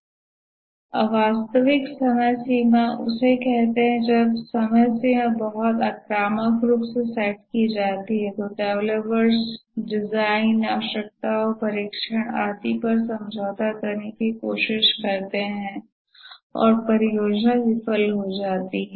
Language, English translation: Hindi, When the deadline is very aggressively set, the developers try to compromise on the design requirements, testing and so on and the project ends up as a failure